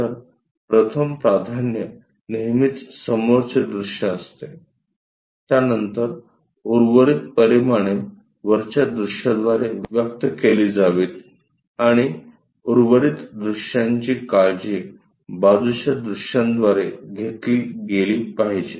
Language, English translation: Marathi, So, the first preference always be front view, then the rest of the dimensions supposed to be conveyed by top view and the remaining views supposed to be taken care by side views